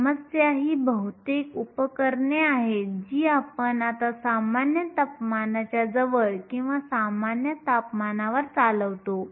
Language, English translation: Marathi, The problem though is most devices we now operate near room temperature or at room temperature